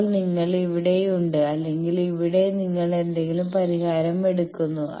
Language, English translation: Malayalam, Now, you are either here or here you take any solution